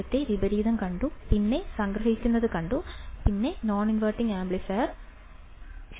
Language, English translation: Malayalam, What we have seen earlier inverting, then we have seen summing, then we have seen non inverting amplifier right